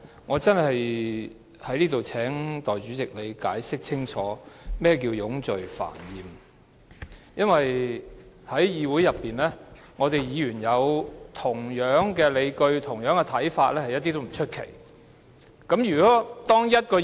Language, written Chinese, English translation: Cantonese, 我想在此請代理主席清楚解釋何謂冗贅煩厭，因為在議會內，議員有相同的理據和看法，並非甚麼奇怪的事。, Here I would like to ask the Deputy President to clearly explain the meaning of tedious repetition as it is not uncommon for Members to hold the same arguments and views in this Chamber